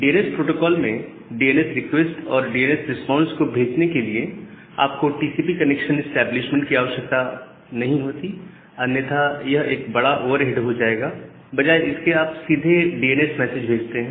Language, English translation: Hindi, So the DNS protocol for sending a DNS request and the DNS response, you do not require a TCP connection establishment, because that is going to be a significant over head rather you just send a DNS simply the DNS message